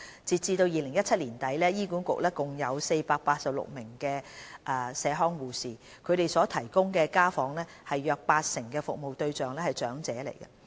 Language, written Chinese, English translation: Cantonese, 截至2017年年底，醫管局共有486名社康護士，他們所提供的家訪中約八成的服務對象為長者。, As at the end of 2017 HA has employed a total of 486 community nurses and around 80 % of home visits made by them were for geriatric patients